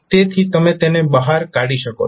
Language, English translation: Gujarati, So you can take it out